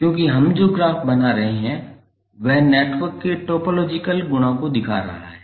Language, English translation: Hindi, Because the graph what we are creating is describing the topological properties of the network